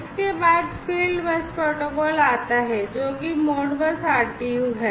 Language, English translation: Hindi, Then, comes the field bus protocol which is the Modbus RTU